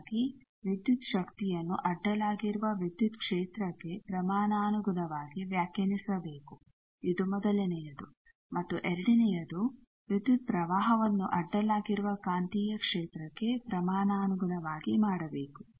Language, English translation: Kannada, So, voltage should be defined proportional to the transverse electric field is the first and the second one is the current also should be made proportional to transverse magnetic field